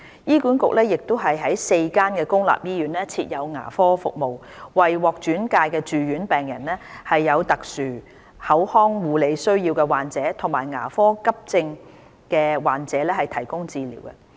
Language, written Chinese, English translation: Cantonese, 醫院管理局亦於4間公立醫院設有牙科服務，為獲轉介的住院病人、有特殊口腔護理需要的患者及牙科急症的患者提供治療。, The Hospital Authority also provides dental services in four public hospitals for referred inpatients patients with special oral health care needs and patients with dental emergency needs